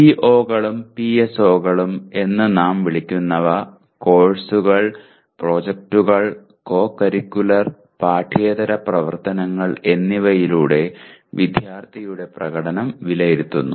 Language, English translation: Malayalam, POs and PSOs as we call them are to be attained through courses, projects, and co curricular and extra curricular activities in which performance of the student is evaluated